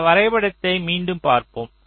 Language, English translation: Tamil, so let us look at this diagram again